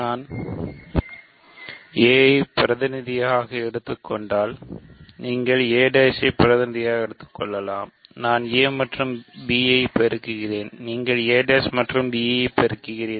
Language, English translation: Tamil, So, it looks like a if I take a as a representative, you take a prime as a representative, you do a b, I do a b, you do a prime b